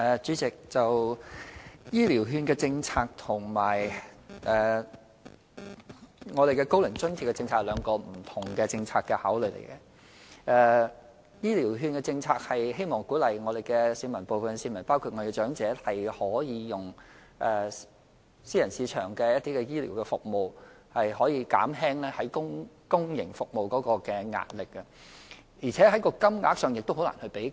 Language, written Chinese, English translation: Cantonese, 主席，"醫療券"政策和"高齡津貼"政策有兩種不同考慮，"醫療券"政策旨在鼓勵部分市民包括長者使用私人市場的醫療服務，以減輕公營服務面對的壓力，而且在金額方面也難以比較。, President the Elderly Health Care Voucher Scheme and the OAA policy have different considerations . The Elderly Health Care Voucher Scheme seeks to encourage some members of the public including elderly persons to use private health care services with a view to alleviating the pressure on public services . Furthermore a comparison of their rates is largely simplistic